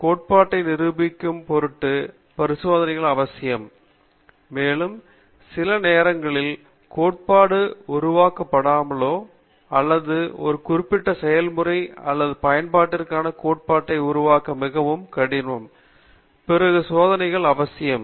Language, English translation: Tamil, Experiments are necessary in order to prove the theory, and also, when sometimes theory is not developed or it’s very difficult to develop the theory for a particular process or application, then experiments are necessary